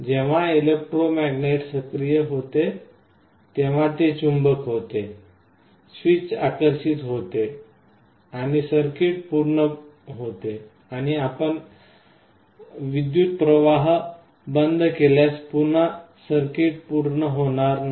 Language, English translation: Marathi, When the electromagnet is activated, it becomes a magnet, the switch is attracted and the circuit closes and if you withdraw the current the circuit again opens